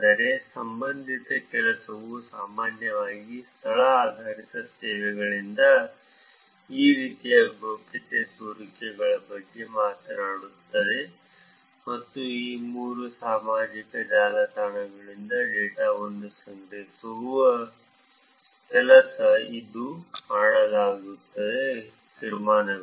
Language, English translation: Kannada, But related work generally talks about these kind of privacy leakages from location based services and work done on collecting data from these three social networks and inferences that were done